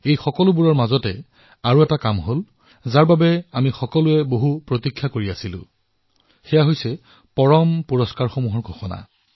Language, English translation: Assamese, Amidst all of this, there was one more happening that is keenly awaited by all of us that is the announcement of the Padma Awards